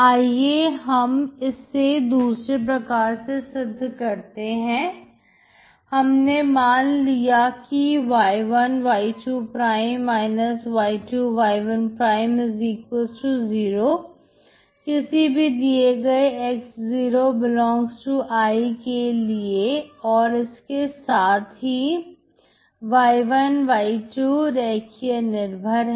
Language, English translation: Hindi, So let us prove the other way round that is if I assume y1 y'2−y2 y'1=0 for some x0 ∈ I show that y1, y2 are linearly dependent